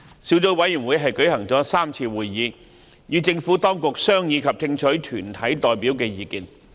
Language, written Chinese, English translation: Cantonese, 小組委員會舉行了3次會議，與政府當局商議及聽取團體代表的意見。, The Subcommittee has held three meetings to discuss with the Administration and receive views from deputations